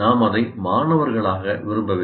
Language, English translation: Tamil, And so mostly we did not like it as students